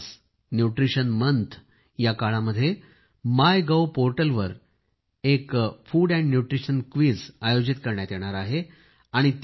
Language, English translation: Marathi, During the course of the Nutrition Month, a food and nutrition quiz will also be organized on the My Gov portal, and there will be a meme competition as well